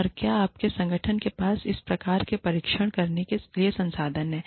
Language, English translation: Hindi, And, whether your organization, has the resources, to conduct, these kinds of tests